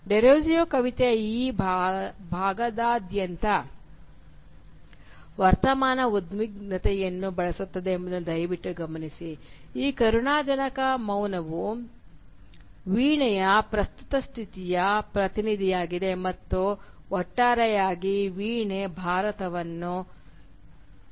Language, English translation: Kannada, Now please note that throughout this section of the poem Derozio uses present tense which signifies that this pitiable silence is representative of the present condition of the harp and by extension of India as a whole